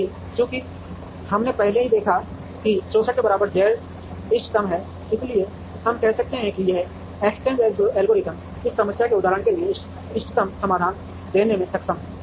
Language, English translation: Hindi, Right now, since we have already seen that Z equal to 64 is optimum, we could say that this exchange algorithm is able to give the optimum solution for this problem instance